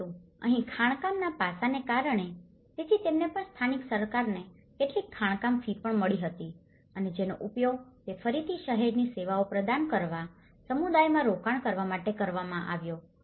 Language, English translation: Gujarati, But here, because of the mining aspect, so they also the local government also received some mining fees and which again it has been in turn used to provide the city services and make investments in the community